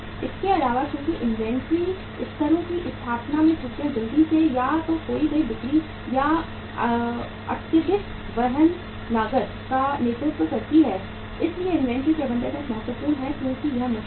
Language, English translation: Hindi, Also, since errors in the establishment of inventory levels quickly lead either to lost sales or to excessive carrying costs, inventory management is an important as it is difficult